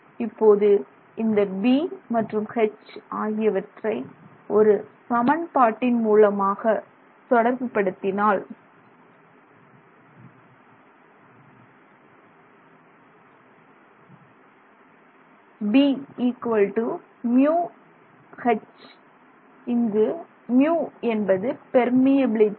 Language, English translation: Tamil, But basically this B and H are related by this equation, b equals mu times H where mu is the permeability